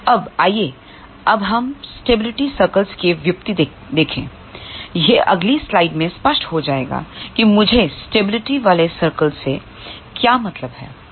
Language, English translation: Hindi, Now, let us look at now the derivation of stability circles; it will be obvious by the next slide what do I mean by stability circles ok